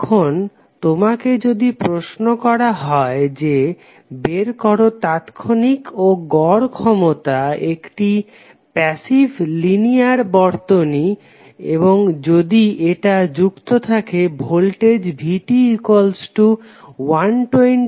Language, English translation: Bengali, Now, if you are asked to find the instantaneous and average power absorbed by a passive linear circuit and if it is excited by some voltage V that is given as 120 cos 377t plus 45 degree